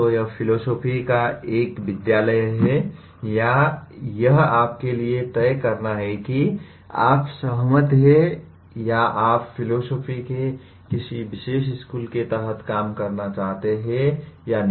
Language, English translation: Hindi, So this is one school of philosophy or it is for you to decide whether you agree or whether you would like to operate under a particular school of philosophy